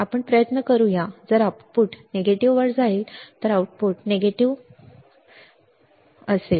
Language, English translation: Marathi, Let us try my output will go to negative, the output will go to negative right easy very easy, right, very easy